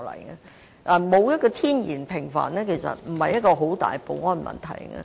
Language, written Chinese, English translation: Cantonese, 其實，沒有天然的屏障並非很大的保安問題。, As a matter of fact the absence of a natural barrier is not a major security issue